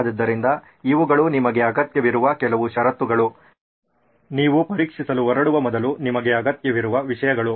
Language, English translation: Kannada, So these are some of the conditions that you need, things that you need before you can set out to test